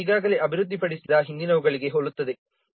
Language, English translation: Kannada, It is very similar to previous ones